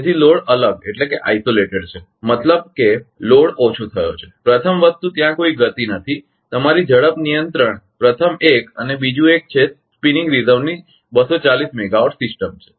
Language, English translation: Gujarati, So, load is isolated; that means, load is load decrease, first thing is there is no speed ah your speed control first one and second one is the system as 240 megawatt of spinning reserve